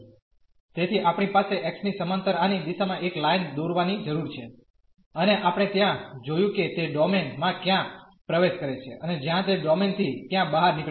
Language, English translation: Gujarati, So, we need to draw a line here in the direction of this a parallel to x, and we was see there where it enters the domain and where it exit the domain